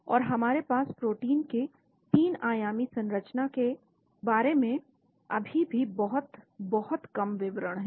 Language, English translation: Hindi, And we have still very, very little details about the 3 dimensional structure of the proteins